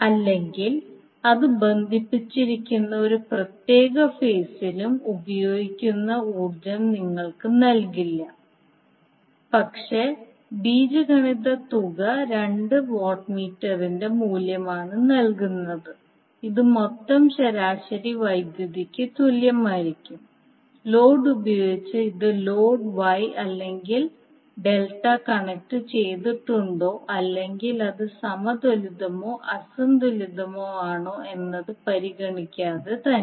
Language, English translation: Malayalam, So in that case the individual watt meters will not give you the reading of power consumed per phase or in a particular phase where it is connected, but the algebraic sum of two watt meters will give us the reading which will be equal to total average power absorbed by the load and this is regardless of whether the load is wye or Delta connected or whether it is balanced or unbalanced